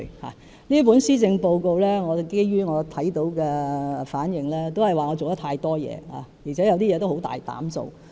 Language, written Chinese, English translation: Cantonese, 據我看到各方對這份施政報告的反應，都是指我做太多事，而且有些事很大膽做。, According to the responses to the Policy Address noted by me I am criticized for doing too much and being bold in taking forward certain initiatives